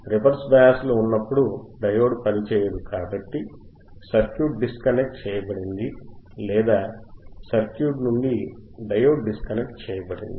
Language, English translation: Telugu, So, as circuit is disconnected right beBecause diode cannot operate becauseas it is in the reverse bias, circuit is disconnected or diode is disconnected from the circuit